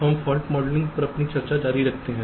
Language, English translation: Hindi, so we continue with our discussion on fault modeling